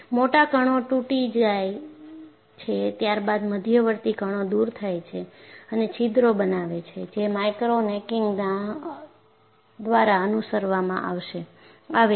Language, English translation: Gujarati, So, the large particles break, followed by intermediate particles getting removed and forming holes, which is followed by micro necking